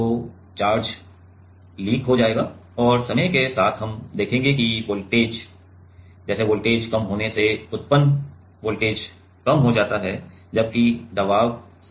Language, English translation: Hindi, So, the charge will leak and with time we will see that voltage again comes; like voltage decreasing the generated voltage decreases whereas, the pressure is same, right